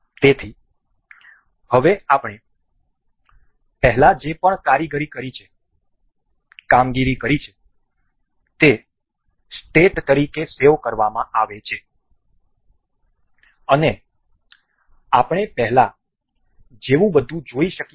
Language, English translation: Gujarati, So, now, whatever the operations we have performed earlier they are saved as a state, and we can see the everything as before